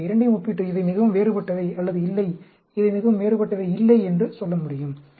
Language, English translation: Tamil, I can compare both of them and say, as they are very different, or no, they are not very different